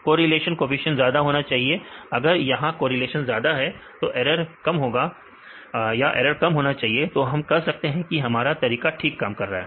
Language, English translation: Hindi, Correlation coefficient should be high; if here the high good correlation and should go the less error, then we can say your method works fine